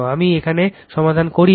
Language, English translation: Bengali, I have not solved it here